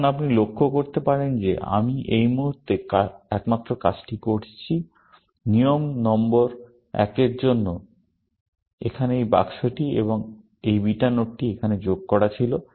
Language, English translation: Bengali, Now, you can observe that the only thing I did at this moment, for the rule number one was to add this box here, and this beta node here